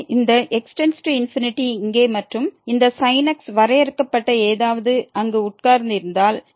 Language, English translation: Tamil, So, if this x goes to infinity here and this something finite is sitting there